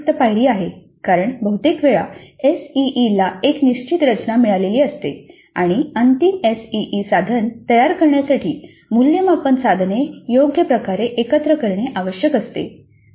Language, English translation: Marathi, That is one additional step because often the SE has got a fixed structure and the assessment items need to be combined appropriately in order to create the final SEE instrument